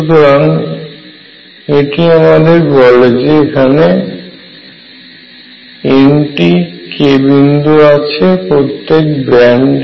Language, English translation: Bengali, So, what this tells you, that there are n k points in each band right